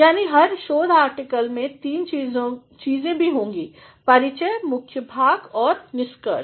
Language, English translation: Hindi, Namely, every research article will also have three things introduction body and conclusion